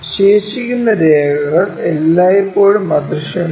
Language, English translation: Malayalam, The remaining lines are always be invisible